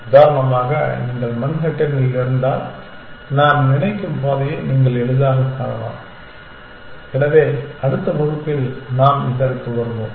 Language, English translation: Tamil, For example, if you are in Manhattan, then you can find the path quite easily I think, so we will come back to this in the next class